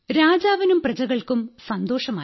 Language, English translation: Malayalam, " Both, the king and the subjects were pleased